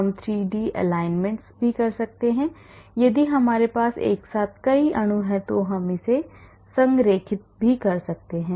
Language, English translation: Hindi, We can also do 3d alignments if we have many molecules together we can align it